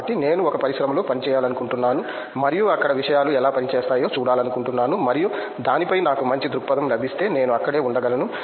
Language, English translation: Telugu, So, I would like to work in one industry and see how the things work out there and if I get a good perspective on that then I may stay back over there